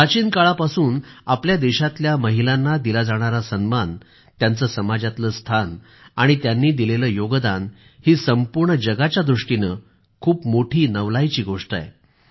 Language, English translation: Marathi, In our country, respect for women, their status in society and their contribution has proved to be awe inspiring to the entire world, since ancient times